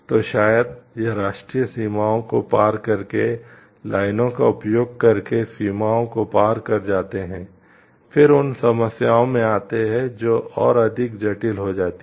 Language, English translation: Hindi, So, and maybe if it is crossed borders using lines by crossing national boundaries to come into the problems becomes further more complex